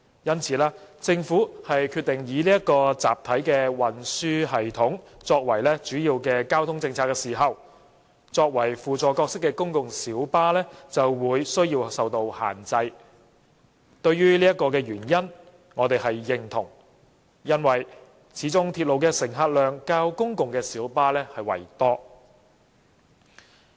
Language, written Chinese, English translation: Cantonese, 因此，當政府決定以集體運輸系統作為主要交通政策時，作為輔助角色的公共小巴的增長就有需要受到限制。對此原因，我們是認同的，因為鐵路的乘客量始終較公共小巴為多。, As the positioning of PLBs is to play a role of supplementary transport service if the number of PLBs is allowed to increase without any checks it will generate an immense burden on our limited trunk roads